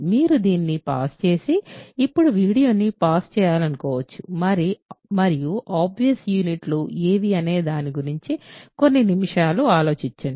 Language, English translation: Telugu, So, you may want to pause this and pause the video now and think for few minutes about what are the obvious units